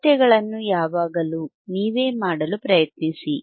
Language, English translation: Kannada, Always try to do yourthe measurements by yourself